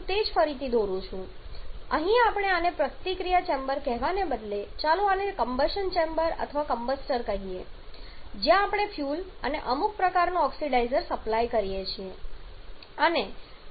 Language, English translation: Gujarati, So, here we have instead of calling it a combustion sorry instead of calling this a reaction chamber let us call this a combustion chamber or a combustor where we are supplying a fuel and some kind of oxidizer